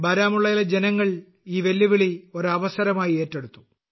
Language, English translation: Malayalam, The people of Baramulla took this challenge as an opportunity